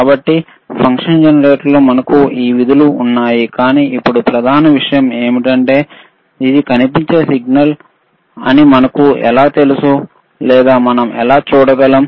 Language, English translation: Telugu, So, so, we have this functions in the function generator, but now the main point is, how we know that this is the signal appearing or how we can measure the signal now